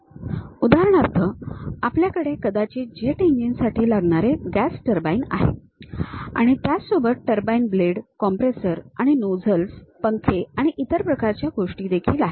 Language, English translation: Marathi, For example, there is a gas turbine perhaps maybe for a jet engine, you might be having something like turbine blades, compressors and nozzles, fans and other kind of things are there